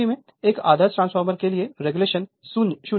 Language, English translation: Hindi, So, in that case regulation is 0 for an ideal transformer